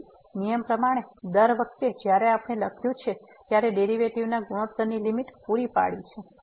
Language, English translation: Gujarati, So, that is what in the rule every time we have written provided the limit of the ratio of the derivatives exist